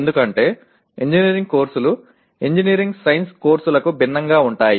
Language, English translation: Telugu, Because engineering courses are different from engineering science courses